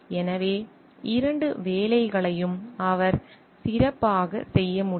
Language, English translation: Tamil, So, he can do both the jobs very well